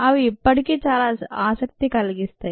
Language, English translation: Telugu, they are still, ah of great interest